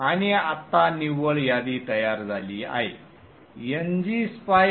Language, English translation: Marathi, Now that the net list has created, NG Spice Forward